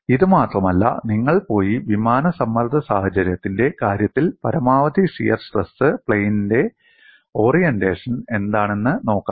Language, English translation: Malayalam, Not only this, I would appreciate you go and look at what is the orientation of maximum shear stress plane in the case of plane stress situation